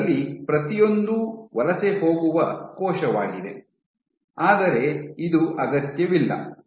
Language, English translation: Kannada, So, each of these is a cell which is migrating, but it is not necessary